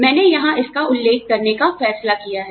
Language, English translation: Hindi, I have decided, to mention it, here